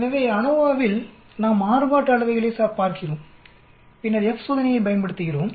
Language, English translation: Tamil, So in the ANOVA we are looking at variances and then we use F test